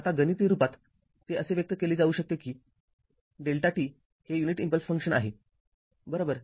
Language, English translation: Marathi, Now, mathematically it can be expressed as; delta t we represent delta t your what you call that unit impulse function right